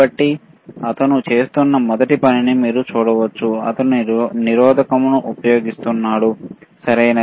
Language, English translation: Telugu, So, you can see the first thing that he is doing is he is using the resistance, right